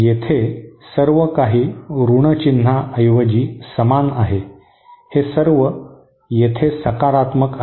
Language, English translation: Marathi, Here everything is same except instead of a negative sign, it is all positive here